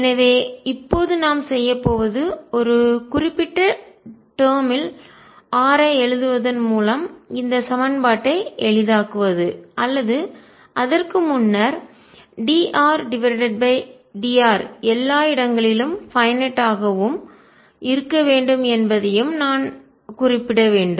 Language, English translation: Tamil, So, now we got we are going to do is simplify this equation by writing r in a certain term or before that I should also mention that d R over dr should also be finite everywhere and the finite